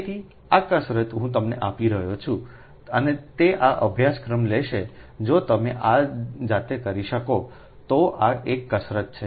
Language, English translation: Gujarati, so this exercise i am giving you and those will take this course, ah, this is an exercise